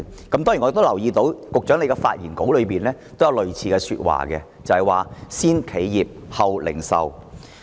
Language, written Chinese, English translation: Cantonese, 當然，我亦留意到，在局長的發言稿中也有類似的說話，就是"先企業，後零售"。, I also noticed that the Secretary has made similar remarks in his speech that is first institutional then retail